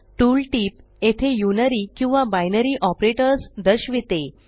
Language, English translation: Marathi, The tool tip here says Unary or Binary Operators